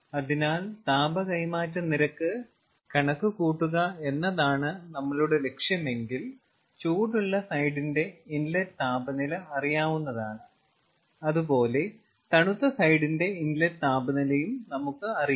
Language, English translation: Malayalam, so if that is our goal, that you want to calculate the ah heat transfer rate, then you see the hot side inlet temperature is known, cold side inlet temperature is known